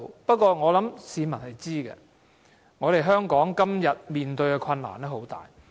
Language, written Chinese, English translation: Cantonese, 不過，我想市民知道，香港今天面對的困難很大。, But what I want the public to know is that Hong Kong is now in a very difficult position